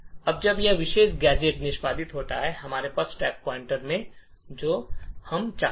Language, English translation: Hindi, Now when this particular gadget executes, we have the stack pointer pointing here as we want